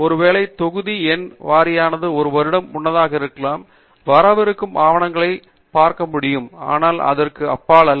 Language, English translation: Tamil, Maybe by the volume number wise may be one year ahead, we may be able to see the papers that are coming in, but not beyond